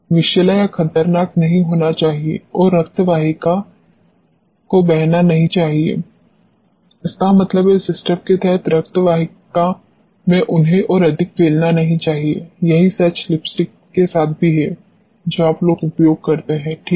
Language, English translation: Hindi, There should not be toxic hazardous and there should not be any leaching into a blood vessels so; that means, they should not be further diffusion in your blood streams of the system; the same is true with the lipsticks which you guys use alright